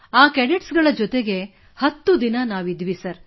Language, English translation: Kannada, We stayed with those cadets for 10 days